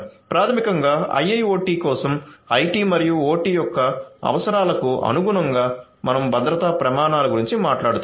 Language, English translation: Telugu, So basically for IIoT we are talking about security standards, conforming with the requirements of IT and OT